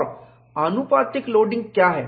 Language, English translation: Hindi, And what is proportional loading